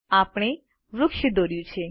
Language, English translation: Gujarati, We have drawn a tree